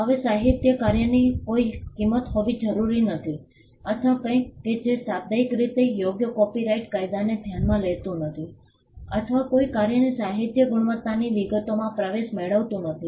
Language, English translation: Gujarati, Now, the literary work need not be something that has value or something that has literally merit copyright law does not consider or does not get into the details of the literary merit of a work